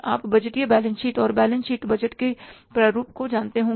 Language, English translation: Hindi, You must be knowing the budgeted balance sheet and the performer of the budgeted balance sheet